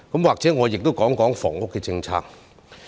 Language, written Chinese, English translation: Cantonese, 或許我也說說房屋政策。, Perhaps I can also talk about housing policy